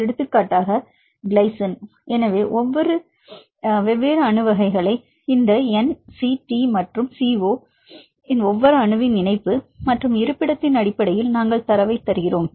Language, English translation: Tamil, For example, glycine so they gave different atom types right because based on the linkage and the location of each atom this N, CT and CO; we give the data